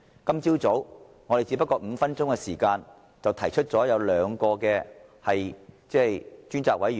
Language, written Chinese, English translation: Cantonese, 今早，我們只不過用了5分鐘便提出要求就兩項事宜成立專責委員會。, This morning we spent only five minutes on requesting the setting up of a select committee on two issues respectively